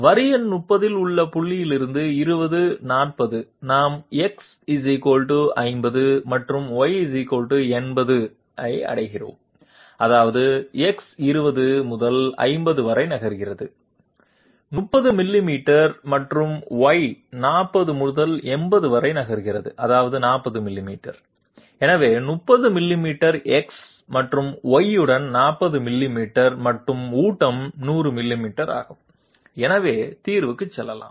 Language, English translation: Tamil, From the point 20, 40 in line number 30 we are reaching X = 50 and Y = 80, which means X is moving from 20 to 50, 30 millimeters and Y is moving from 40 to 80, which means 40 millimeters, so 30 millimeters along X and 40 millimeters along Y and the feed is of 100 millimeters, so let s go to the solution